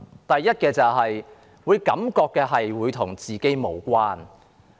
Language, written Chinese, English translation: Cantonese, 第一，市民感覺預算案與自己無關。, First the public feel that the Budget has little to do with them